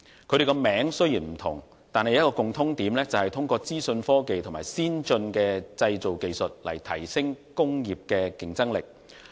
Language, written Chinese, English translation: Cantonese, 兩者名稱雖然不同，但共通點是通過資訊科技及先進的製造技術提升工業的競爭力。, They are different by name but both seek to enhance their industrial competitiveness through information technology and advanced manufacturing technology